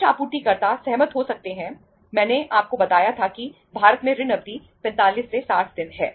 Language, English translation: Hindi, Some supplier may agree, I told you that credit period in India is 45 to 60 days